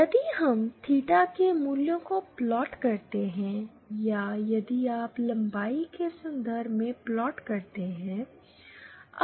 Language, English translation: Hindi, If we plot the values of theta or if you plot in terms of the length